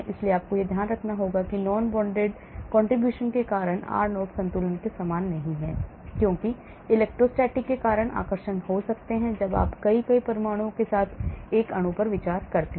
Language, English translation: Hindi, so you have to note that r0 is not the same as the equilibrium bond length because of non bonded contribution because there could be attractions because of electrostatic when you consider a molecule with many, many atoms